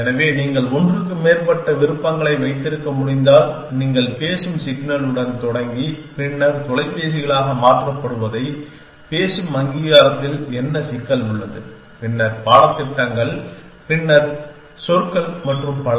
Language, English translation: Tamil, So, if you can keep more than one option, so what is the problem in speak recognition that you start with the speak signal then converted into phonemes, then syllabus then words and so on